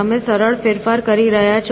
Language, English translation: Gujarati, You are doing simple manipulations